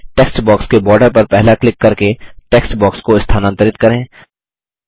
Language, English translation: Hindi, Move the text box by first clicking on the border of the text box